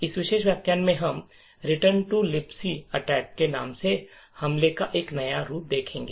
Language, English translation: Hindi, In this particular lecture what we will look at is a new form of attack known as the Return to Libc Attack